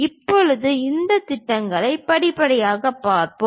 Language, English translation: Tamil, Now, let us look at these projections step by step